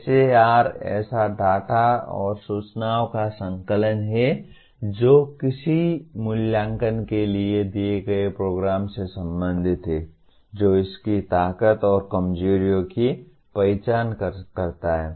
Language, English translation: Hindi, SAR is a compilation of such data and information pertaining to a given program for its assessment identifying its strengths and weaknesses